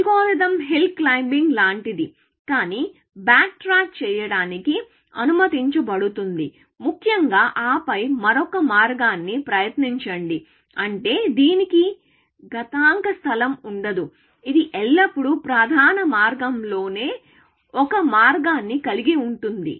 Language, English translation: Telugu, The algorithm is like hill climbing, but allowed to back track, essentially, and then, try another path; which means, it will not have exponential space; it will have only one path always in the main way